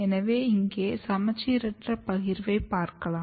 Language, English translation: Tamil, So, here you can see the asymmetric distribution